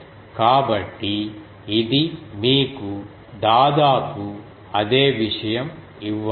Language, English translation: Telugu, So, this should approximately give you the same thing